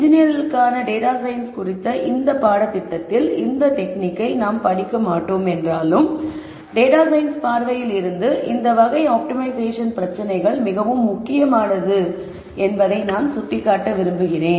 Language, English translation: Tamil, Though we will not study that technique in this first course on data science for engineers, I just wanted to point out that this class of optimization problems is very important from a data science viewpoint